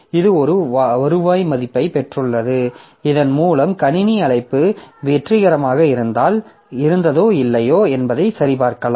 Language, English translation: Tamil, So, it has got a return value by which you can check whether the system call was successful or not